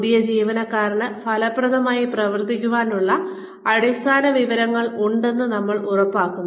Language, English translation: Malayalam, We make sure, the new employee has the basic information to function effectively